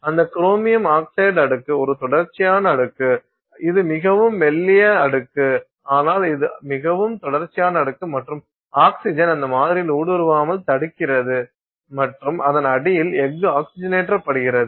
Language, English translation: Tamil, And that chromium oxide layer is a continuous layer, it's a very thin layer but it's a very continuous layer and it prevents oxygen from penetrating into that sample and you know oxidizing the steel underneath it